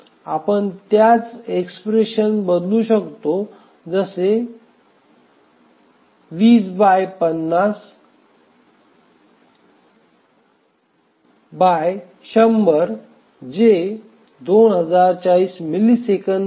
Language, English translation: Marathi, So, you can just substitute that in an expression, 1020 by 50 by 100 which is 2,040 milliseconds